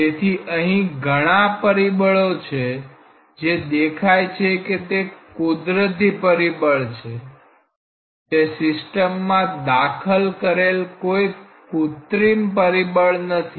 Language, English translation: Gujarati, So, there are many factors these things just show that these are very natural factors, these are not any artificially imposed factors on the system